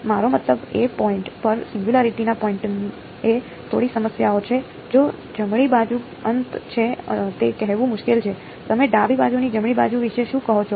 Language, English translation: Gujarati, I mean at the point of the; at the point of the singularity there is a bit of a problems, hard to say if the right hand side is infinity what do you say about the left hand side right